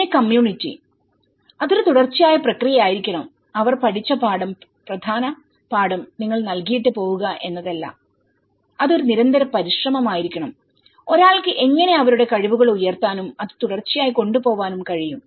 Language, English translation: Malayalam, And, the community and it has to be a continuous process, it is not that the important lesson they learnt is you deliver and you move away so, it has to be a continuous effort, how one can raise their capacities and take it in a continuous approach